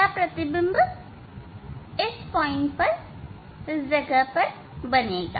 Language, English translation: Hindi, this image will be formed at this place ok